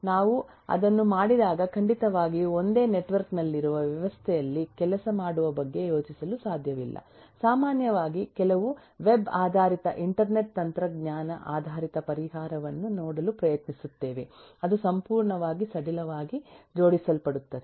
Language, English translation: Kannada, when we do that certainly we cannot just think about having working in a system which is on the single network will typically try to look at some web based kind of internet technology based solution which is completely loosely coupled